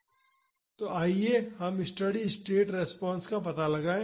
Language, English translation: Hindi, So, let us find out the steady state response